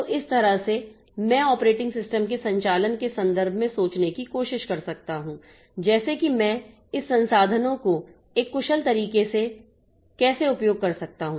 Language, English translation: Hindi, So, this way I can try to think in terms of operating system operation like how can I utilize this resources in an efficient manner